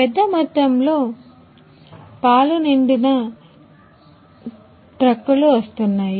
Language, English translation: Telugu, Also trucks loaded with lot of bulk milk is also coming